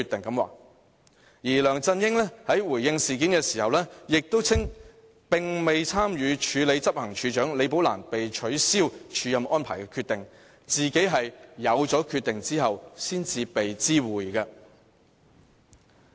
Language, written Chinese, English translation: Cantonese, 而梁振英在回應事件時，亦稱並無參與署理執行處首長李寶蘭被取消署任安排的決定，自己是"有此決定後才被知會的"。, When responding to the incident LEUNG Chun - ying also said that he played no part in making the decision to cancel LIs acting appointment and that he was only informed after the decision had been made